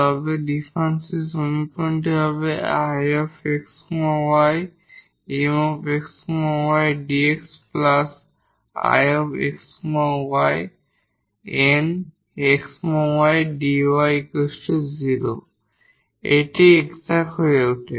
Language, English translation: Bengali, That means this is the exact differential equation which we can also verify